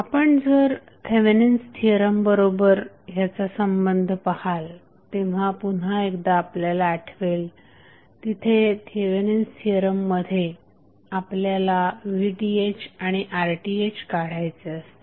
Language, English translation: Marathi, Now, if you correlate with the Thevenin's theorem you will see again as we saw in Thevenin theorem that our main concerned was to find out the value of V Th and R th